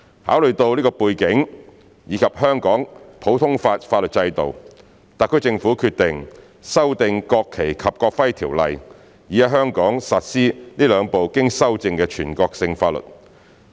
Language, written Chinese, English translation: Cantonese, 考慮到這個背景，以及香港的普通法法律制度，特區政府決定修訂《國旗及國徽條例》，以在香港實施這兩部經修正的全國性法律。, Having regard to this background and the common law system practiced in Hong Kong the SAR Government decided to implement the two amended national laws in Hong Kong by amending NFNEO